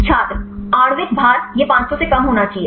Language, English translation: Hindi, Molecular weight; it should be less than 500